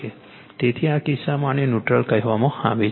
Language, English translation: Gujarati, So, in this case , your what you call at this is a neutral